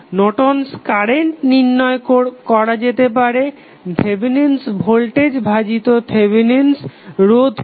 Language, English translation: Bengali, Norton's current can be calculated with the help of Thevenin's voltage divided by Thevenin resistance